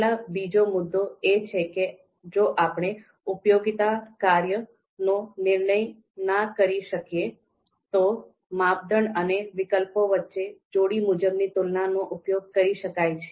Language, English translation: Gujarati, So the second point is given if we cannot construct a utility function so what we can do else if using pairwise comparisons between criteria and alternatives